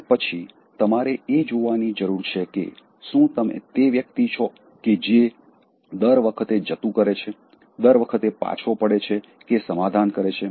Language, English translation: Gujarati, And then, you need to see, whether you are the person, who is all the time giving it up, all the time withdrawing, all the time compromising